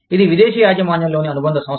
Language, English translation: Telugu, It is a foreign owned subsidiary